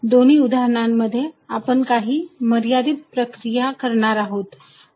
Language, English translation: Marathi, In both the cases, we will be doing some limiting processes